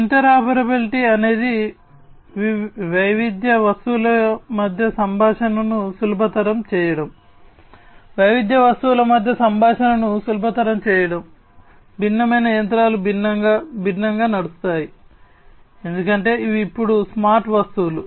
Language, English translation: Telugu, Interoperability is about facilitating communication between heterogeneous objects facilitating communication between heterogeneous objects, heterogeneous machinery running different, different, because these are now smart objects right